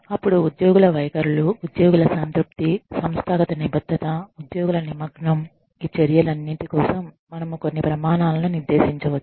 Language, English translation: Telugu, Then, employee attitudes, employee satisfaction, organizational commitment, employee engagement, all of this can be, you know, we can lay down some standards, for each of these measures